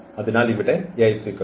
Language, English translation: Malayalam, So, here Ax is equal to 0